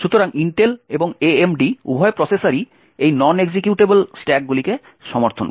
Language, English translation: Bengali, So, both Intel and AMD processors support these non executable stacks